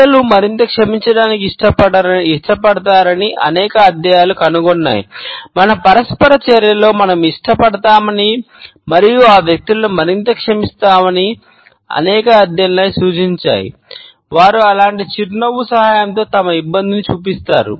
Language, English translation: Telugu, Several studies have also found that people like to forgive people more, that several studies have also suggested that in our interaction we tend to like as well as to forgive those people more, who show their embarrassment with the help of such a smile